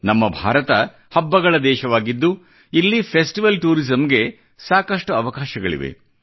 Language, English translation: Kannada, Our India, the country of festivals, possesses limitless possibilities in the realm of festival tourism